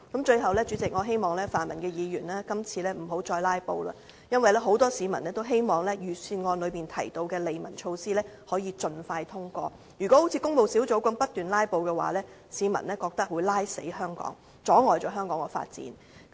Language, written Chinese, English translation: Cantonese, 最後，主席，我希望泛民議員今次不要再"拉布"，因為很多市民也希望預算案裏面提到的利民措施可以盡快通過，如果好像工務小組委員會那樣不斷"拉布"，市民覺得會拖垮香港，阻礙香港的發展。, At last President I urge pan - democratic Members not to filibuster again this time as many people are looking forward to the passage of many livelihood measures in the Budget sooner rather than later . The people believe that anything similar to the filibuster in the Public Works Subcommittee will only jeopardize and impede Hong Kongs development